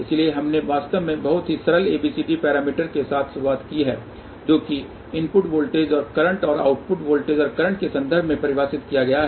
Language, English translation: Hindi, So, we actually started with the very simple ABCD parameters which are define in terms of input voltages and current and output voltages and current